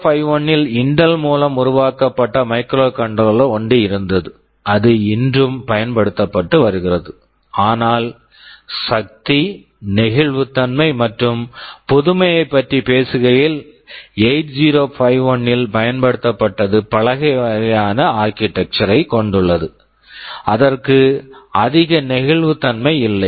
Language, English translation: Tamil, There was one microcontroller which was developed by Intel, it was 8051, it is still being used, but talking about the power, flexibility and innovativeness, 8051 has an old kind of an architecture, it does not have too much flexibility